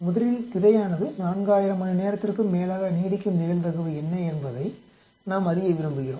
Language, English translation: Tamil, First is we want know what is a probability that it will last probably the screen last more than 4000 hours